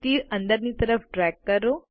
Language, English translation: Gujarati, Drag the arrow inwards